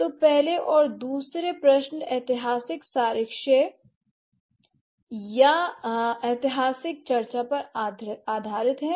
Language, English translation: Hindi, So, the first and the second questions are based on the historical evidence or the historical discussion